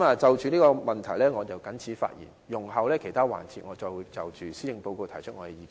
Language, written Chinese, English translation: Cantonese, 就着這個問題我謹此發言，容後在其他環節，我會再就施政報告提出意見。, With these remarks on the issue I so submit . I will raise other comments in the sessions to follow